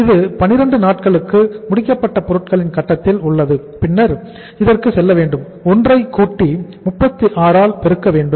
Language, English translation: Tamil, It remains at the finished goods stage for the 12 days and then we have to go for it plus 1 multiplied by uh this is 36